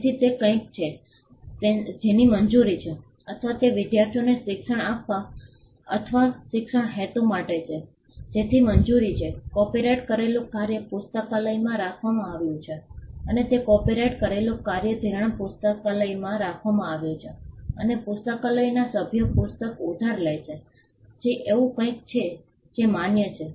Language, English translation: Gujarati, So, that is something which is allowed for or it is for the purpose of education for teaching or imparting education to students again that is allowed for, the copyrighted work is kept in a library and it is the copyrighted work is kept in a lending library and the members of the library borrow the book that is again something that is permissible